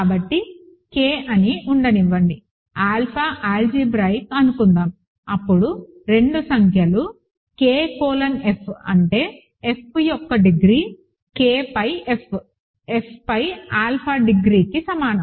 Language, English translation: Telugu, So, let K be, let alpha be algebraic, then the two numbers K colon F which is the degree of F K over F is equal to the degree of alpha over F, ok